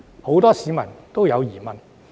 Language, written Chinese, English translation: Cantonese, 很多市民都有疑問。, Many people have doubts about it